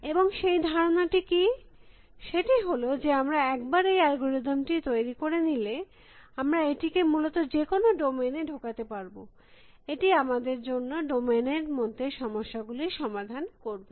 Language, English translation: Bengali, And what is that idea that once we have design these algorithm, then we can plug in any domain and it will solve problems in the domain for us